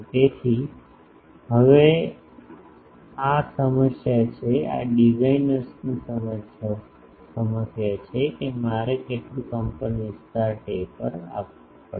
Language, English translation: Gujarati, So, now this is the problem, this is the designers problem that how much amplitude taper I will have to give